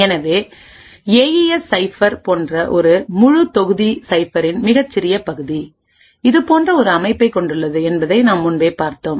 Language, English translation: Tamil, So, in a complete cipher such as an AES cipher a very small part of this entire block cipher is having a structure as we have seen before